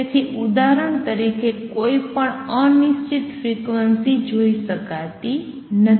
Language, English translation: Gujarati, So, any arbitrary frequency cannot be seen for example